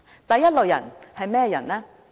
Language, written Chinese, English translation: Cantonese, 第一類人是甚麼人呢？, What is the first category of people?